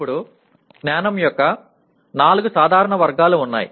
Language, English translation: Telugu, Now, there are four general categories of knowledge which we have mentioned